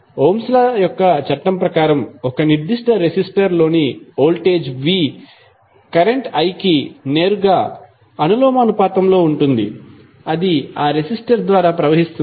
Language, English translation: Telugu, Ohm’s law says that, the voltage V across a particular resistor is directly proportional to the current I, which is flowing through that resistor